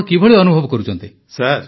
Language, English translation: Odia, How are you feeling